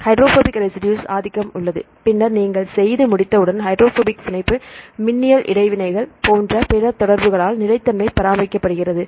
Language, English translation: Tamil, So, there is dominance of the hydrophobic residues, and then once you are done then there is maintained the stability by other interactions like the hydrogen bonding, electrostatic interactions right